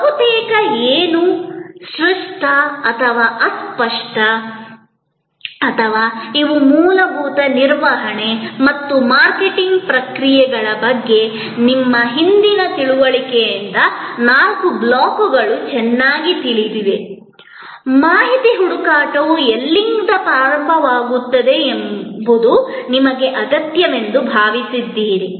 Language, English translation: Kannada, Almost anything, tangible or intangible and these four blocks are well known from your previous understanding of basic management and marketing processes, information search that is where it starts were you felt the need